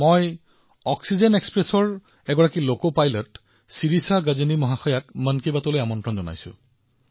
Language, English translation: Assamese, I have invited Shirisha Gajni, a loco pilot of Oxygen Express, to Mann Ki Baat